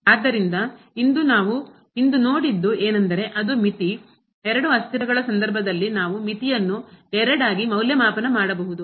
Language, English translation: Kannada, So, what we have seen today that the limit, we can evaluate the limit in two in case of two variables